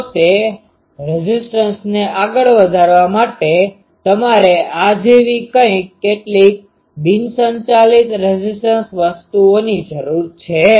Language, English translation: Gujarati, So, to put that impedance up, you need some non driven impedance things like these